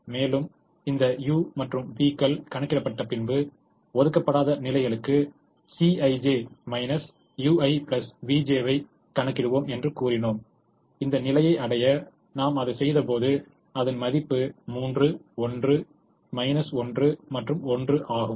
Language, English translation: Tamil, once the u's and v's are computed, we also said that we will compute c i j minus u i plus v j for the unallocated positions and when we did that, for this position the value is three, one minus one and one